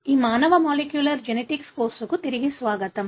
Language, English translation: Telugu, Welcome back to this human molecular genetics course